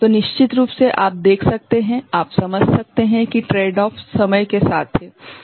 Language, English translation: Hindi, So, of course, you can see you can understand the tradeoff is with the time ok